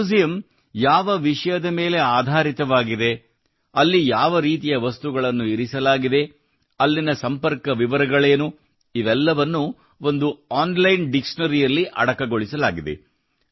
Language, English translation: Kannada, On what theme the museum is based, what kind of objects are kept there, what their contact details are all this is collated in an online directory